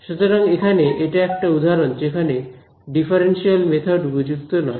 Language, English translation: Bengali, So, that would be an example where a differential method is not suitable